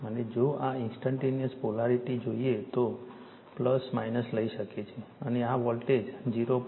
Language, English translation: Gujarati, And if you want this instantaneous polarity, you can take plus minus, and this voltage is 0